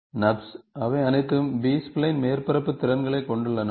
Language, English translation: Tamil, NURBS, they have all B spline surface abilities